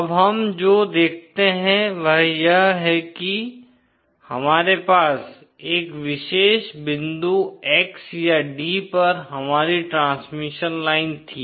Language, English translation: Hindi, Now what we see is that we had our transmission line at a particular point X or d